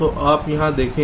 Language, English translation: Hindi, so you see here